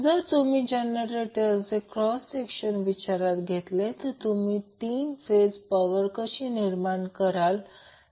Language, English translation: Marathi, So, if you see the cross section of the generator, how you generate the 3 phase power